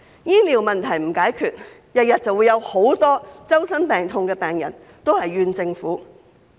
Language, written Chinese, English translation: Cantonese, 醫療問題若不解決，便會天天都有許多周身病痛的病人埋怨政府。, If the healthcare issue cannot get solved the Government will have to bear the blame of many sick and vulnerable patients all the time